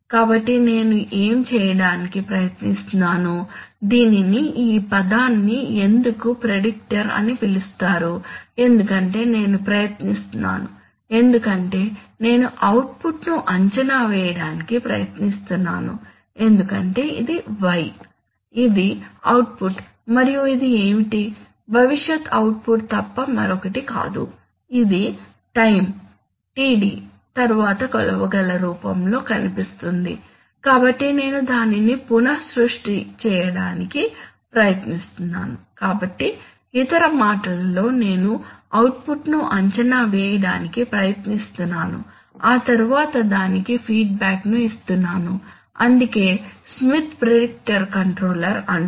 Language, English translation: Telugu, So what am I trying to do why is it called a predictor why is it called a why this term prediction because I am trying to, in effect I am trying to predict the output why because this is y, This is the output and what is this, is nothing but a future output which will appear here in the measurable form after time Td, so since I am, so I am trying to recreate that, so in other words I am trying to predict the output and then give it feedback that is why it is called the smith predictor control